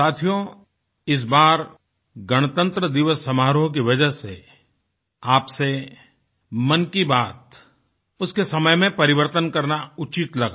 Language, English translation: Hindi, Friends, this time, it came across as appropriate to change the broadcast time of Mann Ki Baat, on account of the Republic Day Celebrations